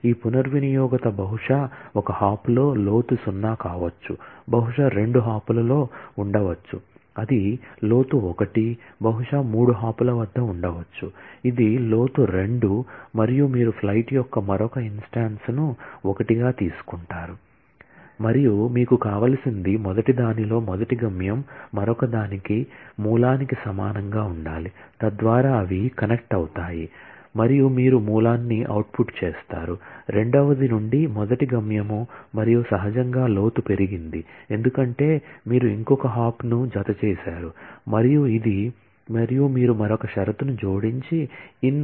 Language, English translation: Telugu, This reachability maybe in one hop that is a depth 0 maybe in 2 hops that is a depth 1 maybe at 3 hops; that is a depth 2 and you take another instance of flight as out 1 and what you need is the destination in the first in one has to be same as the source in the other so that they get connected and then you output the source from the first one destination from the second one and naturally the depth has got incremented, because you have done added one more hop and so, this is the and you add another condition saying that in one dot depth should be less than equal to 100